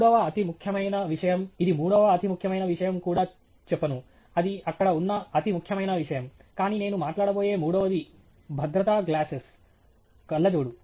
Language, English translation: Telugu, The third most important thing, I wonÕt even say third most important thing, it is the most important thing that is there, but the third one that I am going to talk about is safety glasses okay